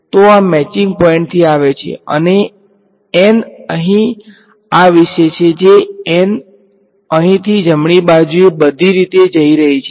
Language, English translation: Gujarati, So, this is like coming from the matching point and n over here talks about this n over here is going from here all the way to the right right